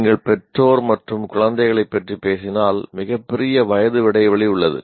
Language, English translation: Tamil, Now if you talk about parents and children, there is a huge, much, much bigger age gap